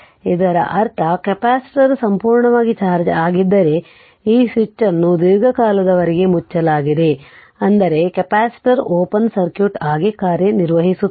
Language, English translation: Kannada, That means, this is this was open and this switch was closed for long time, that means capacitor is acting as an your open circuit